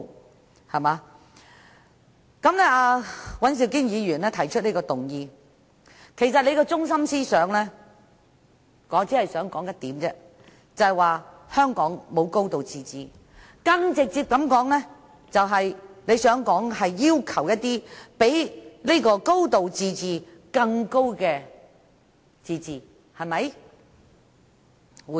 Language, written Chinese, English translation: Cantonese, 我只想指出，尹兆堅議員提出的這項議案的中心思想便是香港沒有"高度自治"，更直接地說，他想要求比"高度自治"更高的自治，對嗎？, I would only like to point out that Mr Andrew WANs motion is mainly based on the argument that Hong Kong lacks a high degree of autonomy or let me put it more directly that Hong Kong lacks the higher level of self - government right?